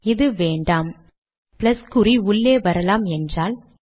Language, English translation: Tamil, If you dont want this, you want the plus sign to come inside